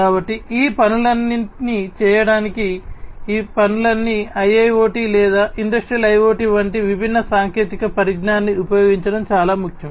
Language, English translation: Telugu, So, all these things for doing all of these things it is very important to use these different technologies like IIoT or Industrial IoT